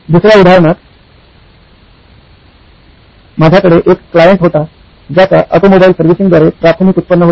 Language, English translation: Marathi, In another example, I had a client who had primary revenue coming from automobile servicing